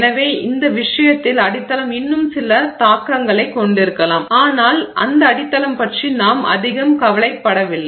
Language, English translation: Tamil, So, in which case, substrate may still have some impact, but we are not very concerned about that substrate